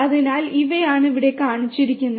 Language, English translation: Malayalam, So, these are the ones that are shown over here